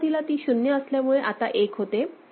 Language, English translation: Marathi, From 0 0, we have come to 0 1